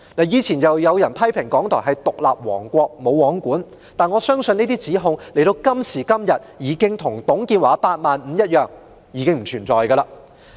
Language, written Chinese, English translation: Cantonese, 以往有人批評港台是獨立王國、"無皇管"，但在今時今日，我相信這些指控已經如董建華的"八萬五"計劃一般，不存在了。, In the past some people criticized RTHK as an independent kingdom subject to no supervision but now I believe such accusations like TUNG Chee - hwas plan of constructing 85 000 housing units each year have disappeared